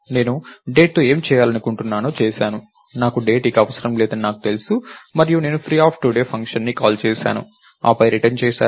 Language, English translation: Telugu, I did whatever I want to do with Date, I know that I don't need date anymore and I am returning from the function as well free today